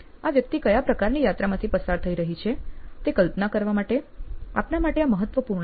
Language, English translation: Gujarati, This is important for you to visualize what kind of journey is this person going through